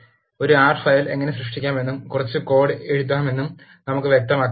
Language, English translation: Malayalam, Let us illustrate how to create an R file and write some code